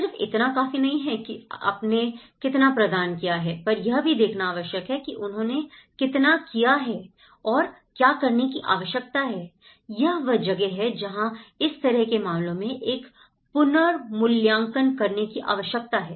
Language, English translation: Hindi, It is not how much you are providing but how much they have done and what needs to be done, this is where a reevaluation has to be done in these kind of cases